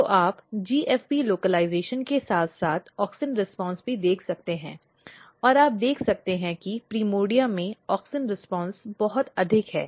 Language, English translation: Hindi, So, you can see the GFP localization as well as the auxin response and you can see that auxin response are very high in the primordia